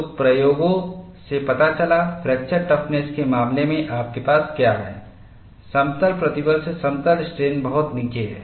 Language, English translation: Hindi, So, the experiments revealed, the fracture toughness in the case of plane strain is far below what you have in plane stress